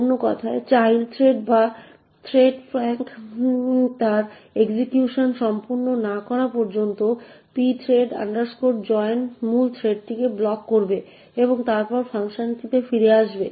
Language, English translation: Bengali, In other words, the pthread joint would block the main thread until the child thread or the threadfunc completes its execution and then the function would return